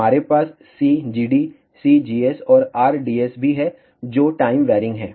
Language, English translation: Hindi, We also have C gd, C gs, and R ds, which are also time varying